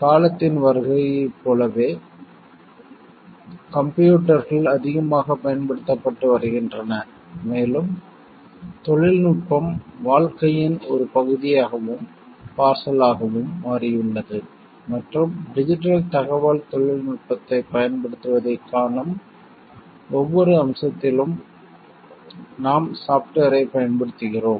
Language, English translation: Tamil, As we know like with the advent of time computers are getting used more and more so and technology has like become a part and parcel of a life and in every aspect we find use of technology digital information, we use software s